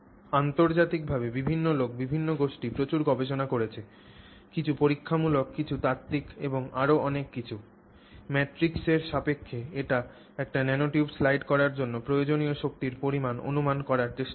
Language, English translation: Bengali, Now, different people, different groups internationally have done a lot of studies, some experimental, some theoretical and so on to try to estimate what is that amount of force that is required for us to slide a nanotube with respect to the matrix